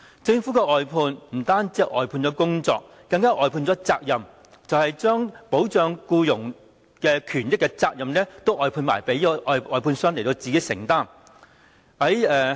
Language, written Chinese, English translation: Cantonese, 政府的外判，不單是外判了工作，更外判了責任，將保障僱傭權益的責任都外判給外判商自行承擔。, The Government has not only outsourced the work but also the responsibility . It has outsourced the responsibility of protecting employees rights and benefits to contractors